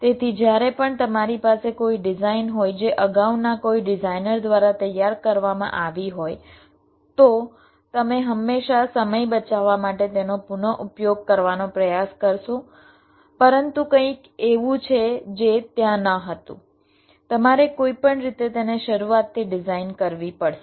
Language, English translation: Gujarati, so whenever you have a design which was already done by some earlier designer, you will always try to reuse it in order to safe time, ok, but there are something which was not there, to will have to design it from scratch anyway